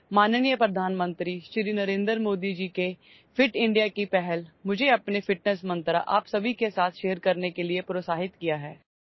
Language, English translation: Assamese, Honorable Prime Minister Shri Narendra Modi Ji's Fit India initiative has encouraged me to share my fitness mantra with all of you